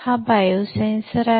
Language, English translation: Marathi, This is a bio sensor